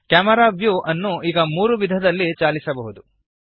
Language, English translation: Kannada, Now you can move the camera view in three ways